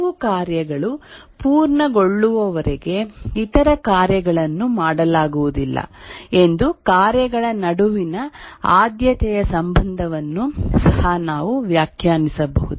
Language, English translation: Kannada, Also, we can define a precedence relationship between tasks that until some tasks completes, the other task cannot be done